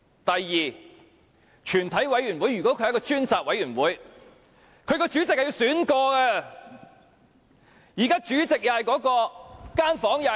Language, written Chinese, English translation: Cantonese, 第二，全體委員會如果是一個專責委員會，其主席便應該重新選出。, Secondly if a committee of the whole Council is a select committee its Chairman has to be re - elected